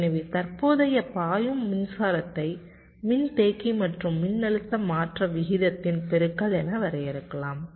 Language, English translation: Tamil, so you can define the current flowing as the product of the capacitor and the rate of change of voltage